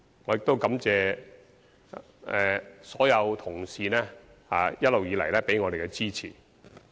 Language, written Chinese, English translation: Cantonese, 我亦感謝所有同事一直以來給予我們支持。, I am also grateful to all of our colleagues for their continued support for us